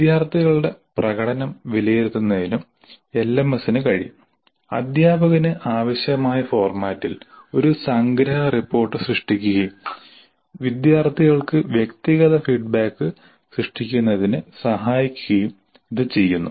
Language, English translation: Malayalam, The LMS can also facilitate the evaluation of student performances, generate a summary report in the format required by the teacher and help in generating personalized feedback to the students